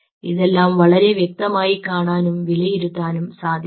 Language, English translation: Malayalam, these can be seen very neatly and they could be evaluated